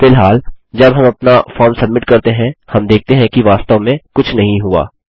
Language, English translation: Hindi, At the moment when we submit our form, we see that nothing really happens